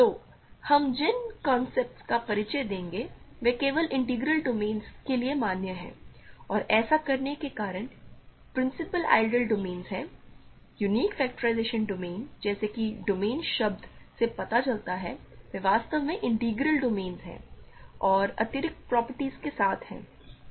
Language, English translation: Hindi, So, many of the concepts that we will introduce are valid only for integral domains and the reason we do this is principal ideal domains, unique factorization domains as the word domain suggests, they are actually integral domains and with additional properties